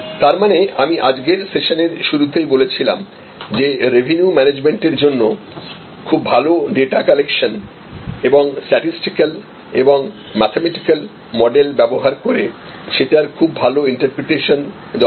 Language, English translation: Bengali, So, which means as I mention right in the beginning of today’s session, revenue management needs lot of good data collection and good interpretation of the data using statistical mathematical models